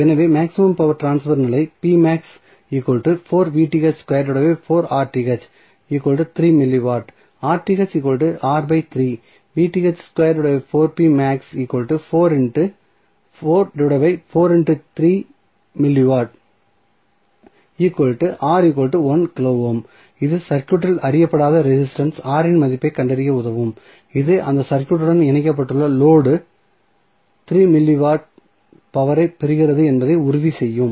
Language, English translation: Tamil, So, this will help you to find out the value of unknown resistance R in the circuit, which will make sure that the load which is connected to that circuit is getting the 3 milli watts of power